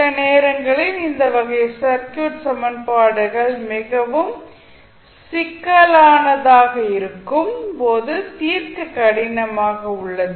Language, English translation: Tamil, Sometimes these types of equations are difficult to solve when the circuit is more complex